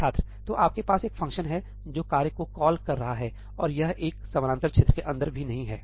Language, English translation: Hindi, So, you have a function calling a task and it is not even inside a parallel region